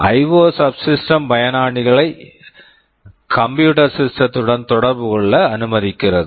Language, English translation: Tamil, The IO subsystem allows users to interact with the computing system